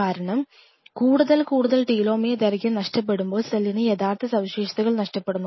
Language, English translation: Malayalam, Because as more and more telomere lengths are lost eventually the cell loses it is viability loses it is original characteristics